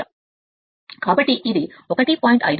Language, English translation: Telugu, so it is coming 0